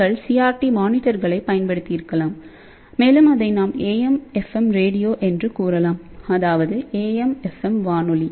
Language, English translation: Tamil, Then you might have used CRT monitors and you can say that AM FM radio